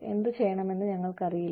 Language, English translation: Malayalam, And, we do not know, what to do with them